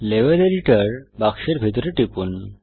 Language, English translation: Bengali, Click inside the Level Editor box